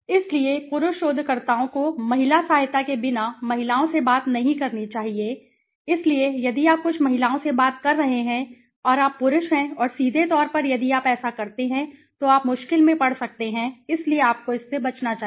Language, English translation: Hindi, So male researchers should not talk to women without the female assistance, so if you are speaking to some women and you are male and directly if you do that, then you might into rather you mean in to trouble, so you should avoid it